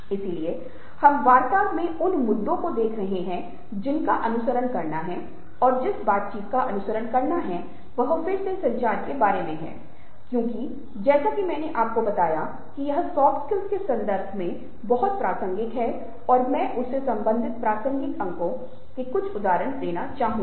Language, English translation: Hindi, so we shall be looking at those issues in the talks to follow, and the talk that is supposed to follow is again about communication because, as i told you, it's very relevant in the context of soft skills and i would like to illustrate some of the relevant points related to that